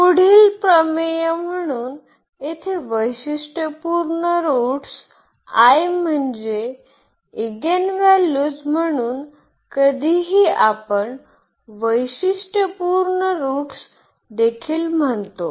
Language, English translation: Marathi, Next theorem, so here the characteristic roots I mean the eigenvalues so sometimes we also call the characteristic roots